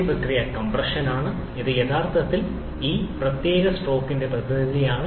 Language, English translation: Malayalam, The first process is compression, which actually is a representative of this particular stroke